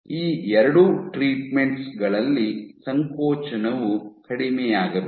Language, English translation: Kannada, So, in both these treatments your contractility should go down